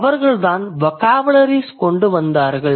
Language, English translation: Tamil, So they brought the vocabularies